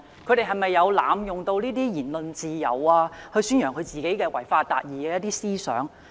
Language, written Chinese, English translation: Cantonese, 這些教師有否濫用言論自由宣揚自己違法達義的思想？, Have the teachers in question abused the freedom of speech to propagate their idea of achieving justice by violating the law?